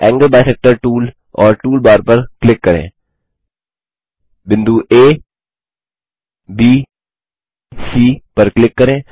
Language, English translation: Hindi, click on the Angle bisector tool and the tool bar, click on the points A,B,C